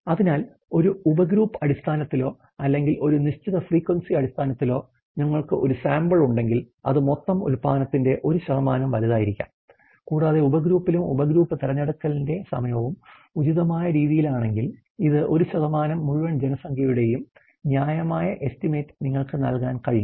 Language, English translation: Malayalam, So, therefore on a subgroup basis or on a certain frequency basis, if we could have a sample to probably which could be 1% of the whole production large, and if the sub grouping and the timing of the subgroup selection is then in appropriate manner, this 1% to be able to give you a fair estimate of the whole population